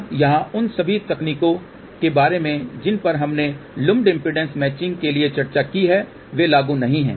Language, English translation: Hindi, Now, here all the techniques which we have discussed well lumped impedance matching or not at all applicable